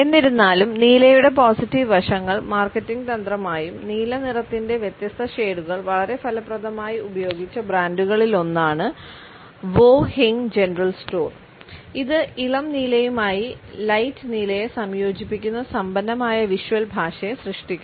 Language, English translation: Malayalam, However the positive aspects of blue have been used as marketing strategy and a particular brand which has used different shades of blue very effectively is the one of Wo Hing general store which draws on the rich visual language that combines vibrant blue with light blue